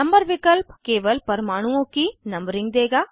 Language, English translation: Hindi, Number option will give only numbering of atoms